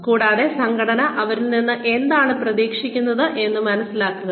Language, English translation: Malayalam, And understanding, what the organization expects from them